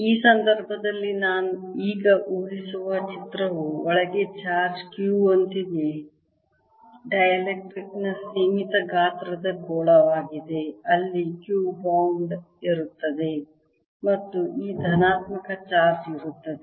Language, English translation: Kannada, picture that imagines now in this case is the finite size sphere of dielectric with the charge q inside